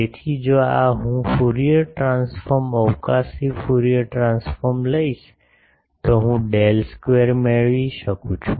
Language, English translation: Gujarati, So, this one if I take Fourier transform, spatial Fourier transform I get del square